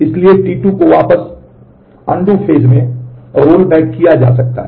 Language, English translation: Hindi, So, T 2 is rolled back in the can be rolled back in the undo phase